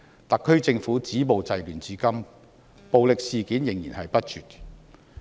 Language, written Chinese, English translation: Cantonese, 特區政府止暴制亂至今，暴力事件仍然不絕。, The SAR Governments efforts to stop violence and curb disorder have yet to quell violent incidents